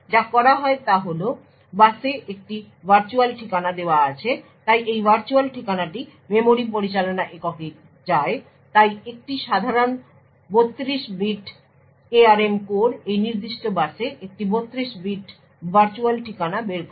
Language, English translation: Bengali, What is done is that there is a virtual address put out on the bus so this virtual address goes into the memory management unit so a typical 32 bit ARM core would put out a 32 bit virtual address on this particular bus